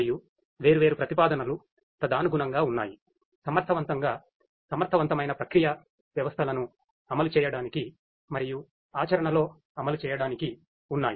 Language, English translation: Telugu, And the different proposals correspondingly that are there; in order to implement effective efficient processing systems to be implemented and deployed in practice